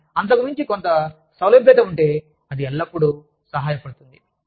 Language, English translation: Telugu, But, over and above that, if there is some flexibility, that always helps